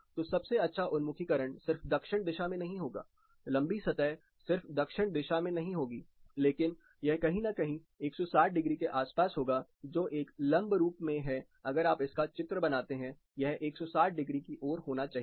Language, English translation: Hindi, So, a trade of the best orientation would not be just south, the longer facing not just facing south, but it is somewhere around 160 degrees that is a perpendicular if you draw, this should be facing 160 degrees